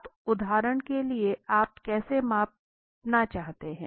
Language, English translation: Hindi, Now for example how do you want to measure